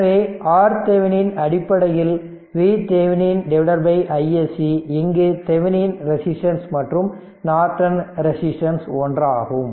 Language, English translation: Tamil, So, R Thevenin is equal to basically your V Thevenin by i SC, you will get the your what you call that Norton resistance same philosophy right